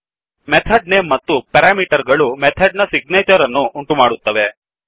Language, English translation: Kannada, The method name and the parameters forms the signature of the method